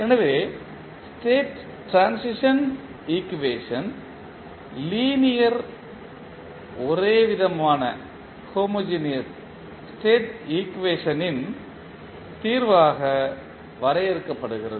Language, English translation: Tamil, So, the state transition equation is define as the solution of linear homogeneous state equation